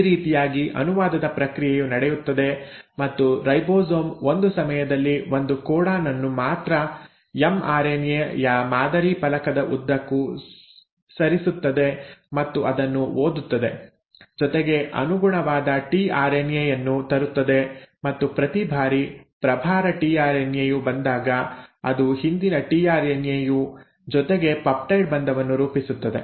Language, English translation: Kannada, So this is how the process of translation happens and the ribosome keeps sliding one codon at a time and along the mRNA template and reads it, brings in the corresponding tRNA and every time the charged tRNA comes, it then forms of peptide bond with the previous tRNA and hence the polypeptide chain keeps on getting elongated